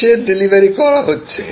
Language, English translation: Bengali, What is getting delivered